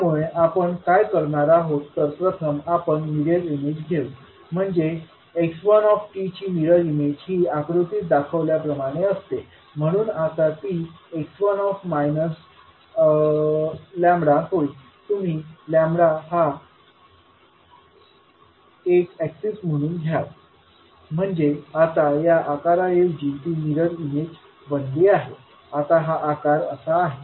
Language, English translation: Marathi, So what we will do we will first take the mirror image so the mirror image of x one t will be like as shown in the figure, so now it will become x minus lambda you will take the lambda as an axis so now instead of having shape like this it has become the mirror image now the shape is like this